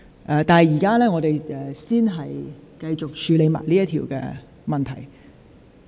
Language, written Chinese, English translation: Cantonese, 本會現在先繼續處理這項口頭質詢。, This Council will continue to deal with this oral question first